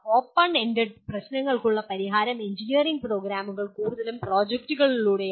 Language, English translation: Malayalam, And solution of open ended problems is attempted engineering programs mostly through projects